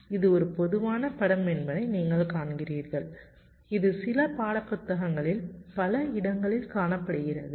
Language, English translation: Tamil, you see, this is a typical picture that will find in several places in some textbooks also